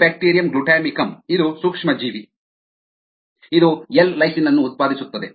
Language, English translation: Kannada, corynebacterium glutamicum, which is an organism this produces a lysine